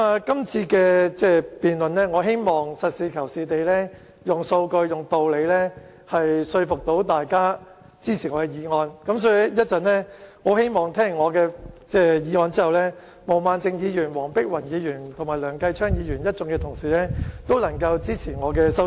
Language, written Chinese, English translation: Cantonese, 今次的辯論，我希望實事求是，用數據和道理說服大家支持我的修正案，因此，我希望聽完我就修正案發言後，毛孟靜議員、黃碧雲議員和梁繼昌議員一眾同事都能夠支持我的修正案。, I wish to adopt a practical attitude in the debate and convince you to support my amendment by using data and reasons . I hope that after I speak on my amendment my Honourable colleagues Ms Claudia MO Dr Helena WONG and Mr Kenneth LEUNG will support the motion as amended by me